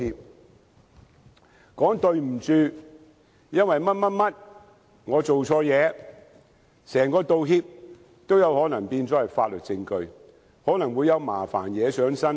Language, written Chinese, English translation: Cantonese, 只要說一聲"對不起，因為某某原因，我做錯事"，整個道歉也可能變成法律證據，可能有麻煩惹上身。, As long as you have said something like I have made mistakes due to certain reasons and I am sorry for that . The whole apology process may become evidence in court and you may get into trouble